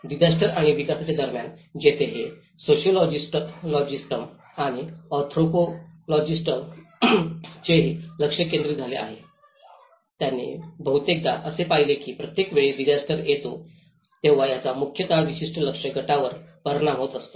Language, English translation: Marathi, Between the disasters and the development where this it has also become a focus of the sociologists and anthropologists, they often observed that every time a disaster happens, it is affecting mostly a particular target group